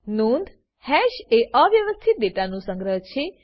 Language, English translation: Gujarati, Note: Hash is an unordered collection of data